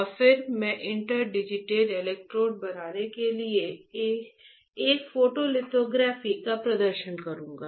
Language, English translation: Hindi, And then I will perform a photolithography to form interdigitated electrodes